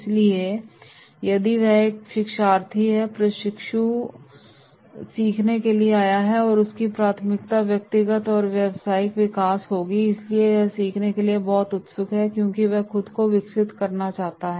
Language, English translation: Hindi, So if it is a learner, the trainee has come to learn then his priority will be personal and professional growth so he is very keen to learn because he wants to develop himself